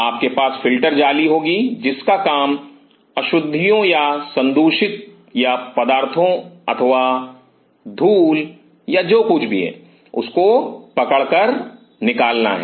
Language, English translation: Hindi, You will have the filter mesh which whose job is thinner trap the impurities or contaminants or the dust and what isoever